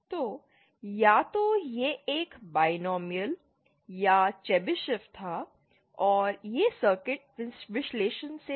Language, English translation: Hindi, So, either it was a binomial or Chebyshev and this was from circuit analysis